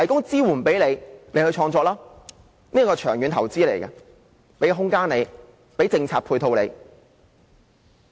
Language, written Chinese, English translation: Cantonese, 這是一項長遠投資，提供空間及政策配套。, This is a long - term investment providing space and ancillary facilities policy - wise